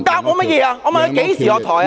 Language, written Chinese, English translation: Cantonese, 我問他何時下台......, I asked him when he would step down